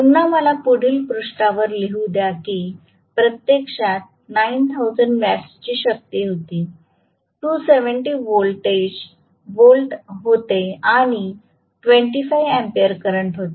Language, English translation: Marathi, Again let me write down in the next page that was actually 9000 watts was the power, 270 volts was the voltage and 25 amperes was the current